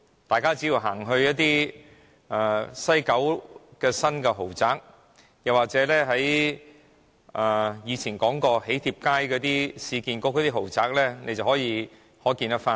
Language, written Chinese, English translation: Cantonese, 大家只要到西九龍的新豪宅區，又或是市建局在囍帖街發展的豪宅看一看，便可窺全豹。, Just take a look at the new luxury residential district in West Kowloon or the luxury apartments at the Wedding Card Street developed by the Urban Renewal Authority and we can see the whole picture